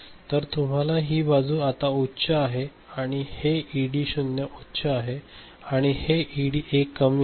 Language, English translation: Marathi, So, this side you have got this is now high this ED0 and this ED1 is at low ok